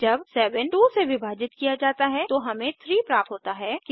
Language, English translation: Hindi, When 7 is divided by 2, we get 3